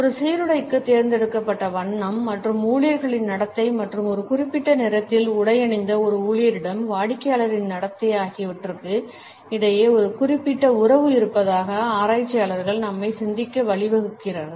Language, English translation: Tamil, Researchers also lead us to think that there is a certain relationship between the color which is chosen for a uniform and the behavior of the employees as well as the behavior of a customer towards an employee who is dressed in a particular color